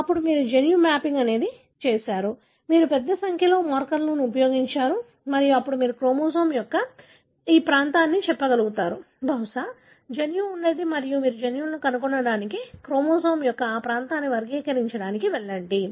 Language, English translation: Telugu, Then, you have done the genetic mapping, you have used large number of markers and then you are able to say this region of the chromosome, possibly the gene is located and then you go about characterising that region of the chromosome to find the genes, right